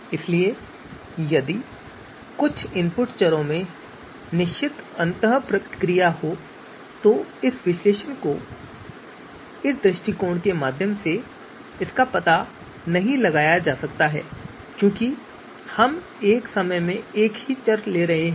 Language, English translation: Hindi, So if some of the input variables are having certain interaction, I know that cannot be you know detected through this suppose because we are taking you know one variable at a time